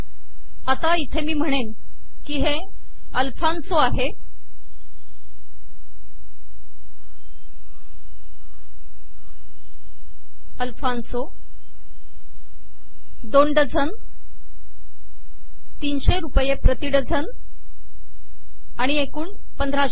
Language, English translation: Marathi, And here let me say that it is Alfanso 2 dozens 300 rupees a dozen, and a total of 1500